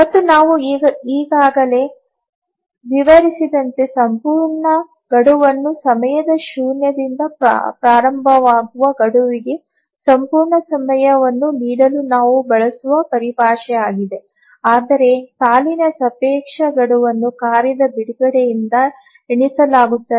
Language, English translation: Kannada, And we already explained the absolute deadline is a terminology we use to give absolute time to the deadline starting from time zero, whereas relative deadline is counted from the release of the task